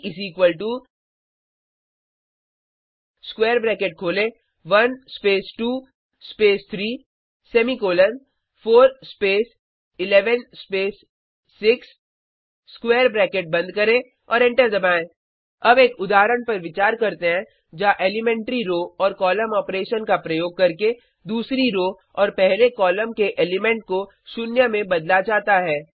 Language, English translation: Hindi, P = open square bracket 1 space 2 space 3 semicolon 4 space 11 space 6 close the square bracket and press enter Let us consider an example where the element in the second row, first column is to be transformed to zero using elementary row and column operation